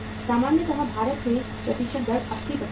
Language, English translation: Hindi, Normally in India the percentage rate is 80%